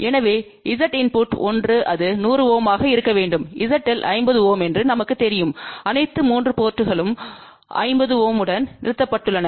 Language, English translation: Tamil, So, Z input 1 we want that to be 100 ohm ZL we know is 50 ohm all the 3 ports are terminated with 50 ohm